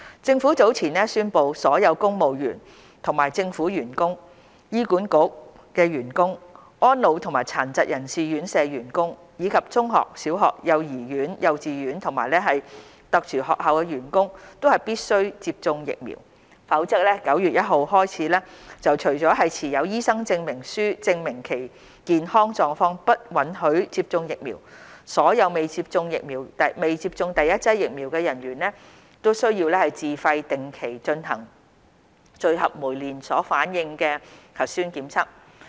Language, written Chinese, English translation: Cantonese, 政府早前宣布，所有公務員及政府員工、醫院管理局員工、安老及殘疾人士院舍員工，以及中學、小學、幼兒園、幼稚園和特殊學校的員工必須接種疫苗，否則由9月1日起，除了持有醫生證明書證明其健康狀況不允許接種疫苗，所有未接種第一劑疫苗的人員須自費定期進行聚合酶連鎖反應核酸檢測。, The Government announced earlier that all civil servants and government employees as well as all staff of the Hospital Authority HA residential care homes for the elderly RCHE residential care homes for persons with disabilities RCHD secondary schools primary schools nurseries kindergartens and special schools are required to be vaccinated . With effect from 1 September save for those who are unfit to receive COVID - 19 vaccination because of medical conditions supported by a medical certificate those who have not received their first dose of vaccine are required to undergo regular polymerase chain reaction - based nucleic acid tests at their own expense